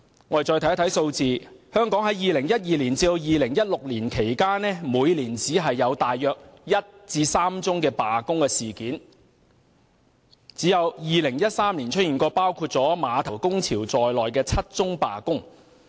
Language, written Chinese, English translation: Cantonese, 我們看看數字，香港在2012年至2016年期間，每年只有1至3宗罷工事件，唯獨2013年曾出現包括碼頭工潮在內的7宗罷工。, In each of the years from 2012 to 2016 only one to three strikes took place in Hong Kong except in 2013 which saw seven strikes including the container terminal labour dispute